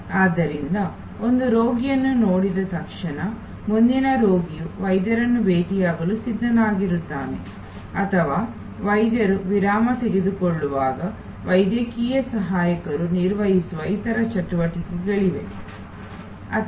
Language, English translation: Kannada, So, that as soon as one patient is done, the next patient is ready to meet the doctor or when the doctor is taking a break, there are other activities that are performed by medical assistants